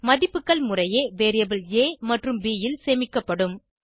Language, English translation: Tamil, The values will be stored in variable a and b, respectively